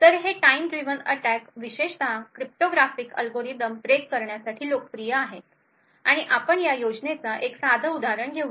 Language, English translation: Marathi, So, these time driven attacks are especially popular for breaking cryptographic algorithms and we will take one very simple example of this scheme